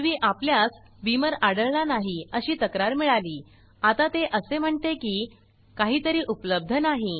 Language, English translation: Marathi, Previously we got the complaint that Beamer was not found now it says that something else is not available